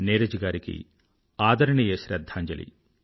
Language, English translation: Telugu, My heartfelt respectful tributes to Neeraj ji